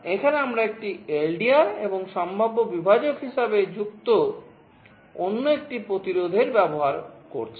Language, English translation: Bengali, Here, with very is an LDR and another resistance connected as a potential divider